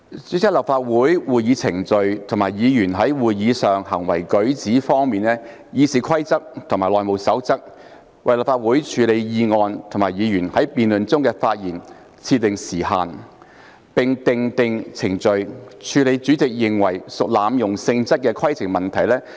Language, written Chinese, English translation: Cantonese, 主席，在立法會會議程序和議員在會議上的行為舉止方面，《議事規則》及《內務守則》為立法會處理議案及議員在辯論中的發言設定時限，並訂定程序以處理主席認為屬濫用性質的規程問題。, President in respect of Council proceedings and Members behaviour and manner in meetings RoP and HR have set time limits on handling motions and speaking time limit for Members in debates and have specified procedures for dealing with points of order which the President deems to be abusive in nature